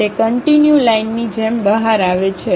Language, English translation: Gujarati, It comes out like a continuous line